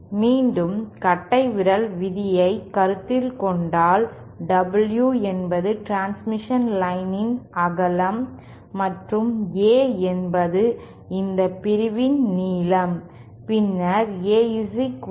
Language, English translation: Tamil, And again the rule of thumb is supposed W is the width of the transmission line and A is the length of this section then A should be equal to 1